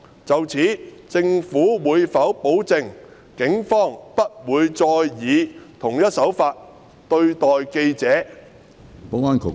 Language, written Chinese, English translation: Cantonese, 就此，政府會否保證警方不會再以同一手法對待記者？, In this connection will the Government guarantee that the Police will not treat journalists in the same manner again?